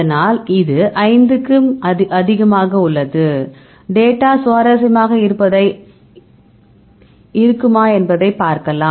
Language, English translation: Tamil, So, this is more than 5 so, you can see now if the data will be interesting